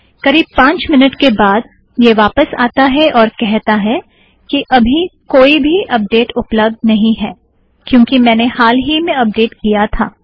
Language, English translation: Hindi, After of about five minutes it comes back and says that there are currently no updates available because I just updated